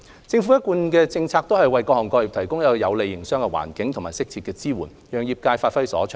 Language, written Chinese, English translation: Cantonese, 政府的一貫政策是為各行各業提供有利的營商環境，以及適切的支援，讓業界發揮所長。, It has been the Governments policy to provide an environment conducive to businesses and render suitable support to various sectors for the development of the trade